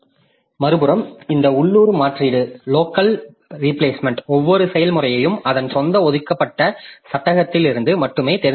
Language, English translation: Tamil, On the other hand, this local replacement each process selects from only its own set of allocated frames